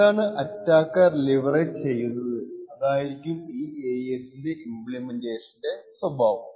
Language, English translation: Malayalam, What the attacker would leverage is the timing behaviour of this AES implementation